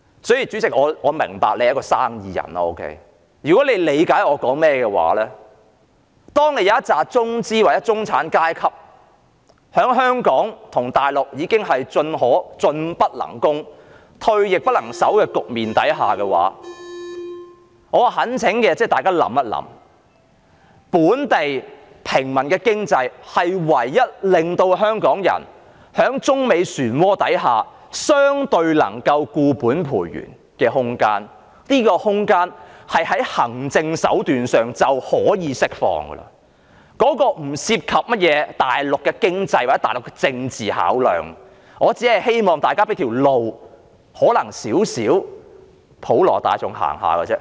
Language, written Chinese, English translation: Cantonese, 主席，我明白你是生意人，如果你理解我的發言，當有一群中資或中產階級在香港與大陸已經面對"進不能攻，退亦不能守"的局面時，我懇請大家思考，本地平民的經濟便是唯一令香港人在中美旋渦下相對能夠固本培元的空間，而這空間透過行政手段已可釋放，當中不涉及甚麼大陸的經濟，或大陸的政治考量，我只希望大家給予一條路，讓一少部分的普羅大眾能夠走。, If you understand what I am saying you will know that when a group of Chinese enterprises or middle - class people in Hong Kong and China are caught in a situation where they can neither advance nor retreat I urge Members to consider developing a local civilian economy which will be the only room left for Hong Kong people to reinforce their strengths amid the whirlpool of China - United States conflicts . Such room can be released by administrative means without involving any economic or political considerations of the Mainland . I only wish that Members can give a small fraction of the general public a way out